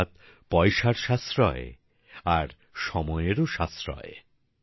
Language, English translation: Bengali, That is saving money as well as time